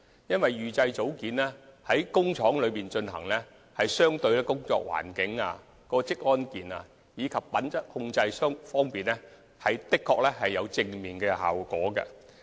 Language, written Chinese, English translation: Cantonese, 由於預製組件在工廠生產，在工作環境、職安健及品質控制方面，相對而言確有正面的效果。, As precast units are manufactured in factories they have relatively speaking positive impacts on working environment occupational safety and quality control